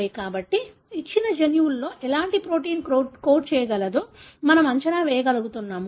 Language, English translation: Telugu, So, that is how we are able to predict what kind of protein in a given gene can code for